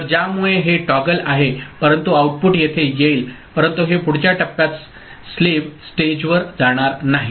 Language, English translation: Marathi, So, because of which this is a toggle, but the output will come over here ok, but it will not be going to the next stage slave stage